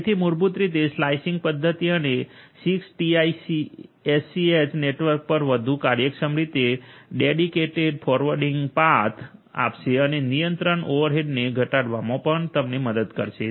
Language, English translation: Gujarati, So, basically the slicing mechanism will give you dedicated forwarding paths across the 6TiSCH network in a much more efficient manner and will also help you in reducing the control overhead